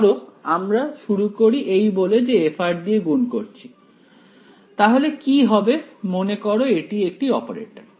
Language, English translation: Bengali, Let us start by saying let us multiply by f of r what will happen is its an operator remember